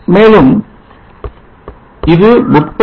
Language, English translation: Tamil, And this is 30